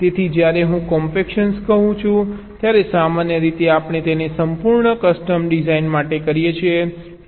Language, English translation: Gujarati, so when i say compaction generally, we do it for full custom design